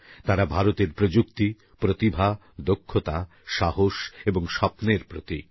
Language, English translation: Bengali, These promising youngsters symbolise India's skill, talent, ability, courage and dreams